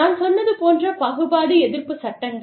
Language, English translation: Tamil, Anti discrimination laws, like i told you